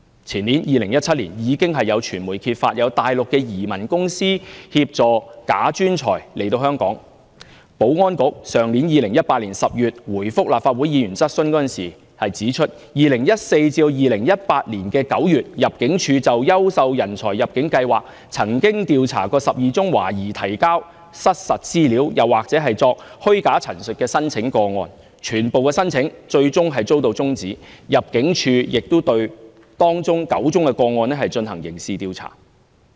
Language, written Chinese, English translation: Cantonese, 前年，即2017年，有傳媒揭發大陸移民公司協助"假專才"來港，保安局於去年10月答覆立法會議員質詢時，指出2014年至2018年9月，入境處就優秀人才入境計劃曾調查12宗懷疑提交失實資料，或作虛假陳述的申請個案，全部申請最終遭到終止，入境處亦對當中9宗個案進行刑事調查。, In 2017 the year before the last the media revealed that a Mainland immigration consultancy assisted bogus talents to come to Hong Kong . In October last year the Security Bureau replied to a question raised by a Legislative Council Member that from 2014 to September 2018 the Immigration Department investigated 12 applications under the Quality Migrant Admission Scheme . The applicants were suspected to have furnished false information or made false representation